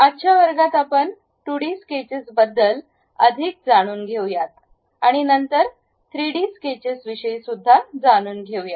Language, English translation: Marathi, In today's class, we will learn more about 2D sketches and then go ahead construct 3D sketches